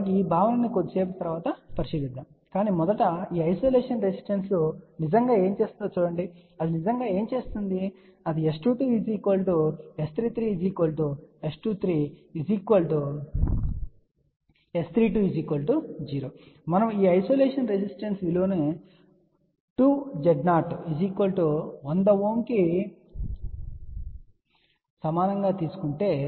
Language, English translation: Telugu, We will look at the concept little later on, but first just see what really this isolation resistance really do, what it actually does it makes S 2 2 equal to S 3 3 equal to S 2 3 equal to S 3 2 equal to 0 provided we take this isolation resistance value equal to 2 times Z 0 which is 100 ohm